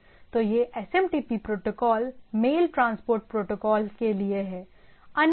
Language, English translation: Hindi, So, this is SMTP protocol is for as for the for mail transport protocols